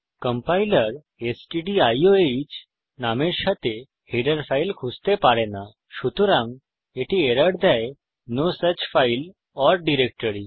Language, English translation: Bengali, The compiler cannot find a header file with the name stdiohhence it is giving an error no such file or directory